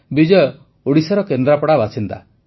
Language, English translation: Odia, Bijayji hails from Kendrapada in Odisha